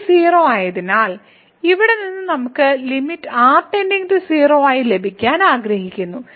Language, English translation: Malayalam, So, this limit is 0 so, what we see that this from here which we want to get the limit as goes to 0